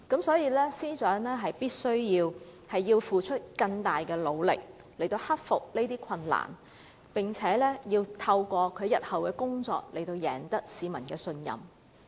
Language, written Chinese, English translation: Cantonese, 司長必須付出更大的努力克服困難，並且透過日後的工作成績贏取市民信任。, The Secretary for Justice must make greater efforts to overcome difficulties and win the trust of members of the public through her future achievements